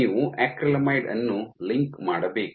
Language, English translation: Kannada, You link acrylamide